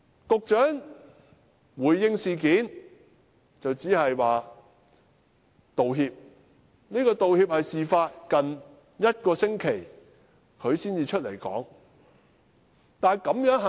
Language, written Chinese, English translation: Cantonese, 局長在回應這事時只是道歉，而且也是在事發近一星期後才走出來道歉。, In response to this incident the Secretary only tendered an apology and what is more he came forth to tender an apology only one week after the incident